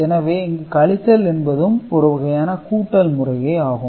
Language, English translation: Tamil, So, basically subtraction here also becomes an addition process right